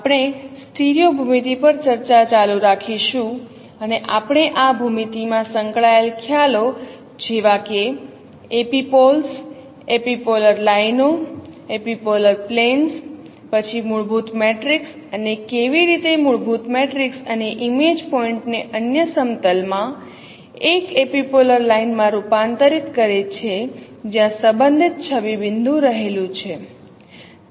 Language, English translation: Gujarati, We are we will continue our discussion on stereo geometry and we discussed a concepts related in this geometry like epipoles, epipolar lines, epipolar planes, then the fundamental matrix and how fundamental matrix converts an image point to an epipolar line in the other plane where the corresponding image point lies